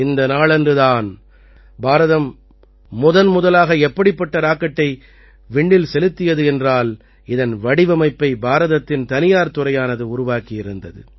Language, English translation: Tamil, On this day, India sent its first such rocket into space, which was designed and prepared by the private sector of India